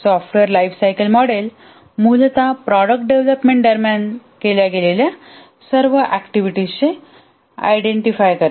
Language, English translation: Marathi, The software lifecycle model essentially identifies all the activities that are undertaken during the product development